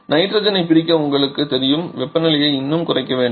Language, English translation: Tamil, You know to separate nitrogen we have to lower the temperature even further